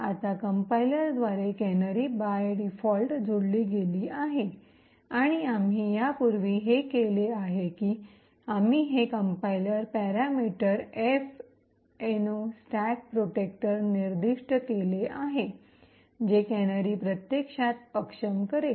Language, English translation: Marathi, Now canaries is added by the compiler by default and what we have done previously was that we have specified this compiler parameter minus F no stack protector which would actually disable the canaries